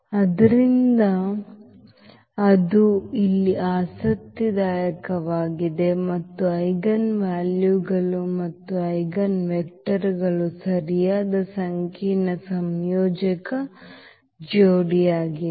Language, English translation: Kannada, So, that is interesting here and both the eigenvalues and eigenvectors are correct complex conjugate pair